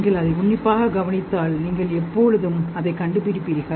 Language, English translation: Tamil, If you observe it closely, you will always find it